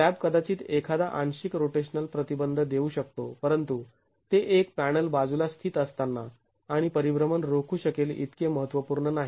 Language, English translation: Marathi, The slab might offer a certain partial rotational restraint but is not as significant as what a panel sitting beside and preventing rotations would do